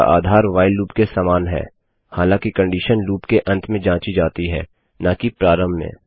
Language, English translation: Hindi, The base is similar to the WHILE loop, although the condition is checked at the END of the loop as opposed to the START